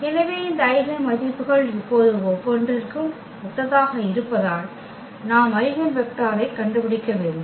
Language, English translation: Tamil, So, having these eigenvalues now corresponding to each, we have to find the eigenvector